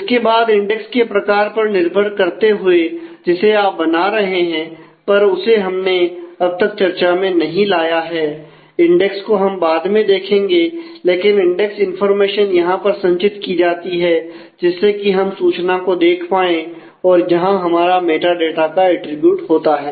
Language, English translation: Hindi, Then depending on the kind of index that you are creating we have still not discussed about index we will do subsequently; but those index information can be preserved the view information we can have attribute metadata